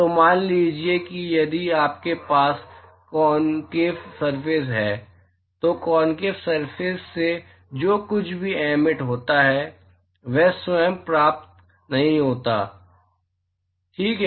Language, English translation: Hindi, So, supposing if you have a concave surface whatever is emitted by a concave surface is not received by itself ok